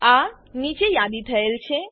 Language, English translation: Gujarati, These are listed below